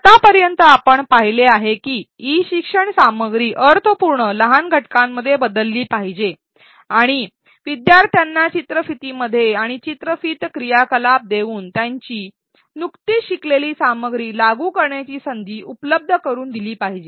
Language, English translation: Marathi, So far we have seen that e learning content should be chunked into meaningful smaller units and learners should be provided with opportunities to apply the content that they just learned by giving within video and between video activities